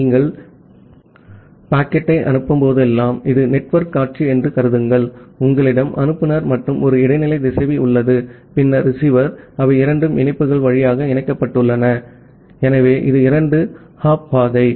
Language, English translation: Tamil, Whenever you are sending the packet, so assume that this is the network scenario, you have the sender, and an intermediate router, and then the receiver, they are connected via two links, so it is a two hop path